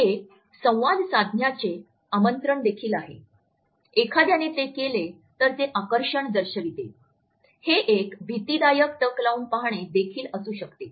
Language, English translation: Marathi, It is also an invitation to communicate, it shows attraction if one over does it, it can also be an intimidating gaze